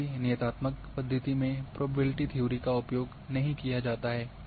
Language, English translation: Hindi, Whereas in deterministic method do not use probability theory